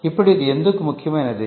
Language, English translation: Telugu, Now why is this important